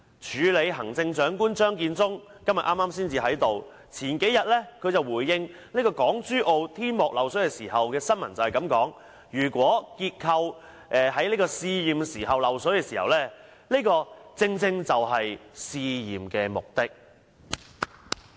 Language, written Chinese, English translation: Cantonese, 署理行政長官張建宗剛才在席；據新聞報道，他數天前回應港珠澳大橋香港口岸旅檢大樓的天幕漏水問題時說："如果結構在試驗時漏水，這正正是試驗的目的。, Acting Chief Executive Matthew CHEUNG was here just now; according to a news report a few days ago when he responded to a question about the water leakage problem of the roof of the Passenger Clearance Building of the HZMB Hong Kong Boundary Crossing Facilities he said It is precisely the purpose of testing to see if there are water leaks in the structure undergoing testing